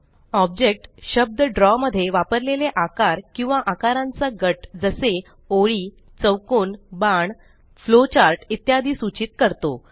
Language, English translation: Marathi, The term Object denotes shapes or group of shapes used in Draw such as lines, squares, arrows, flowcharts and so on